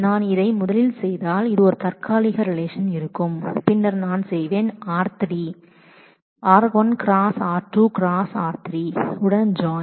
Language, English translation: Tamil, If I do this first then this will be a temporary relation and then I will join it with r3